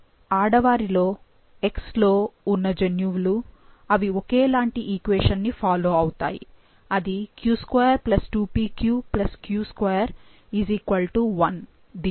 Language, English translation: Telugu, However in the females, the genes which are present on X, they will follow the similar one, that is you q2+2pq+q2 = 1